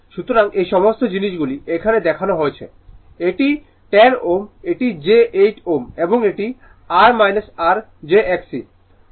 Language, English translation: Bengali, So, all these things are shown here it is 10 ohm it j 8 ohm and it is your minus your j X E